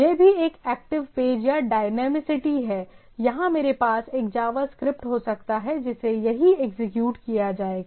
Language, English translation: Hindi, So, this is also, it is also a active page or dynamicity here or I can have a instead a JavaScript which will be executed here right